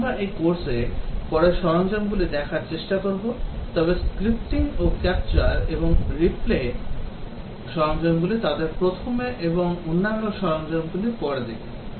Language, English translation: Bengali, We will try to see tools later in this course, but scripting and capture and replay tools will look at them first and other tools later